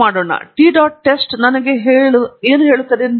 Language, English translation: Kannada, LetÕs see what the t dot test tells me